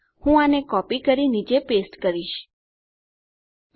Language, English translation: Gujarati, Let me copy and past that down there